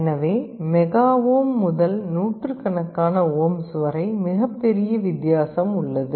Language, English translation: Tamil, So, from mega ohm to hundreds of ohms is a huge difference